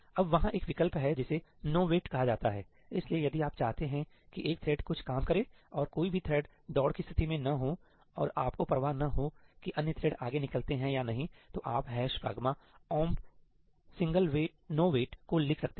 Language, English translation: Hindi, Now, there is a option called nowait; so, if you want one thread to do some work and there is no race condition and you do not care if the other threads go ahead or not, then you can write ëhash pragma omp singleí nowait